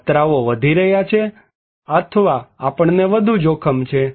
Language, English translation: Gujarati, The dangers are increasing, or we are at more risk